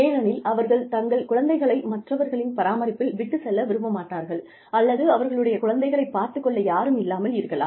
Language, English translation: Tamil, Because, they do not want to leave their children, in the care of, or they do not have anyone, to take care of their little children